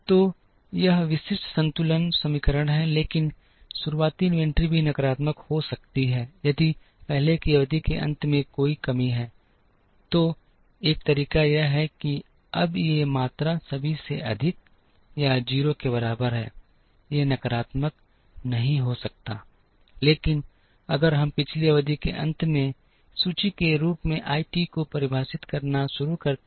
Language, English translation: Hindi, So, this is the typical balance equation, but the beginning inventory can also be negative, if there is a shortage at the end of the earlier period, so one way is to say that now these quantities are all greater than or equal to 0, these cannot be negative, but if we start defining I t as the inventory at the end of the previous period